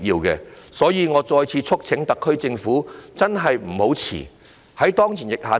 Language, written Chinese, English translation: Cantonese, 因此，我再次促請特區政府不要怠慢。, As such I urge the SAR Government once again not to be slow